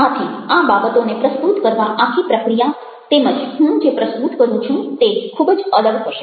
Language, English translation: Gujarati, so the entire process of presenting the things, as well as what i present, will be very, very different from a